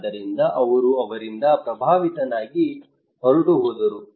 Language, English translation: Kannada, So he was influenced by him, and he left